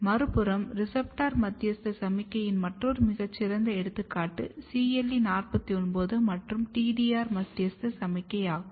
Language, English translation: Tamil, On the other hand, another very good example of receptor mediated signaling is CLE41 and TDR mediated signaling